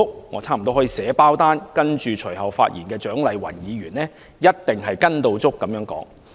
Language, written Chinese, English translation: Cantonese, 我差不多可以保證，隨後發言的蔣麗芸議員一定說同樣的話。, I can almost assert that Dr CHIANG Lai - wan the next Member to speak would follow suit